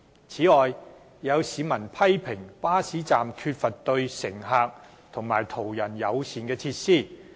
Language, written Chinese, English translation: Cantonese, 此外，有市民批評巴士站缺乏對乘客及途人友善的設施。, Besides some members of the public have criticized that the bus stops are lacking facilities which are friendly to passengers and passers - by